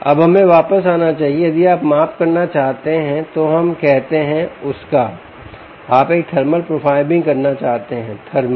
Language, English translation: Hindi, if you want to make a measurement of, let us say, of the, you want to do a thermal profiling, thermal profiling, thermal thermal, right